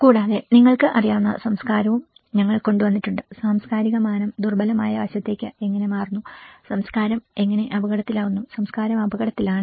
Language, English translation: Malayalam, And also, we have brought the culture you know the how the cultural dimension into the vulnerable aspect and how culture becomes at risk, culture is at risk